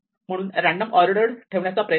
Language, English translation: Marathi, So, I am just trying to put it in some random order